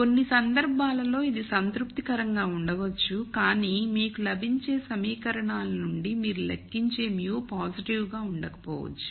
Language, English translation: Telugu, And in some cases this might be satisfied, but the mu that you calculate out of the equations you get might not be positive